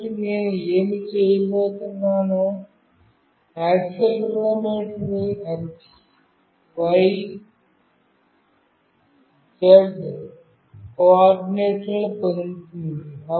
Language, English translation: Telugu, So, what I will be doing, the accelerometer will be getting the x, y, z coordinates